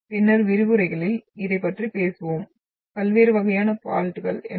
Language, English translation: Tamil, We will talk about this in our following lectures what are different types of faults